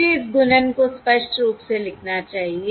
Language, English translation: Hindi, Let me write this multiplication explicitly